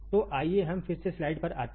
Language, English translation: Hindi, So, let us see again come back to the slide